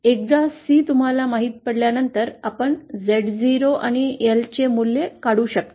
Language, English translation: Marathi, So once you know XCR upon you know C you can calculate the value of Z0 and the L